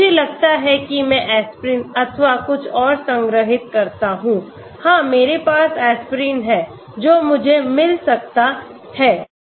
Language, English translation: Hindi, I have I think aspirin or something somewhere stored, yeah I have aspirin I can get that